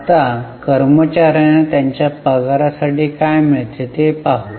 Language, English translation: Marathi, Now, let us see what employees get for it, that is their wages